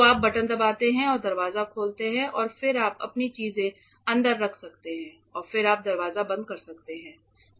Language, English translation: Hindi, So, the thing is you press the button and you open the door and then you can keep your things inside and then you close the door